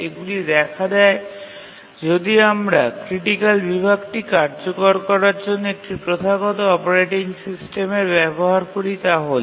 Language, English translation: Bengali, So, what are the traditional operating system solution to execute critical section